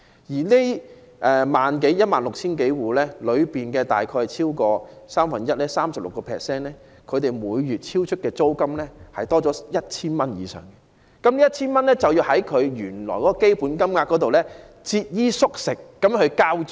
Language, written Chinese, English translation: Cantonese, 在這 16,000 多戶當中，有超過三分之一的受助人的租金，每月超出租金津貼 1,000 元以上，他們唯有節衣縮食，從原來的基本金額中騰出那 1,000 元來交租。, Among the 16 000 households over one third 36 % of the recipients are paying a monthly rent exceeding the rent allowance received by 1,000 or more . They can only scrimp on food and clothing to squeeze out the 1,000 for rent